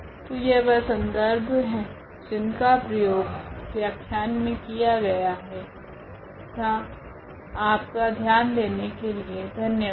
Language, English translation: Hindi, So, these are the references used to prepare these lectures and thank you for your attention